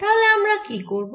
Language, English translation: Bengali, so what we will do again